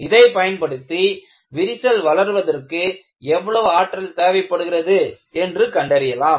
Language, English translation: Tamil, I will use it for finding out what is the energy required for fracture growth